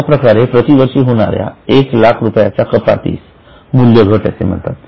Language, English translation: Marathi, That 1 lakh which is calculated each year is called as amortization